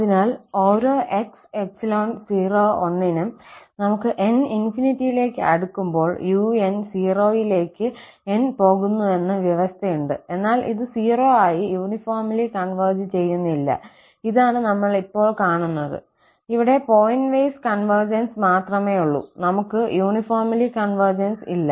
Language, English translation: Malayalam, So, for each x in [0, 1), we have this condition that the un is going to 0 as n approaches to infinity, but it does not converge uniformly to 0, this is what we will see now, that here, we have only pointwise convergence and we do not have uniform convergence